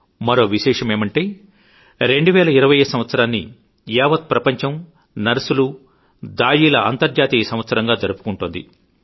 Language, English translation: Telugu, It's a coincidence that the world is celebrating year 2020 as the International year of the Nurse and Midwife